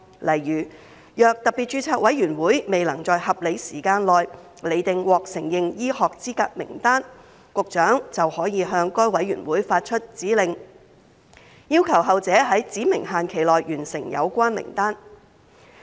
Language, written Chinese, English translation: Cantonese, 例如，若特別註冊委員會未能在合理時間內釐定獲承認醫學資格名單，局長便可向該委員會發出指令，要求後者在指明期限內完成有關名單。, For instance if SRC cannot determine the list of recognized medical qualifications within a reasonable period of time the Secretary can issue a directive to SRC requiring it to complete the list within a specified time frame . Similar provisions are found in the Hospital Authority Ordinance Cap